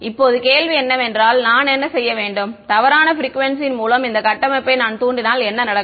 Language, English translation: Tamil, Now the question lies what should I if I excite this structure with the wrong frequency what will happen